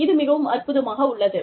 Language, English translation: Tamil, It is amazing